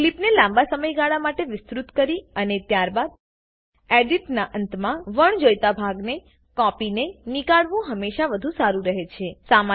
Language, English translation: Gujarati, It is always better to extend a clip to a longer duration and then cut off the portion that you do not require at the end of editing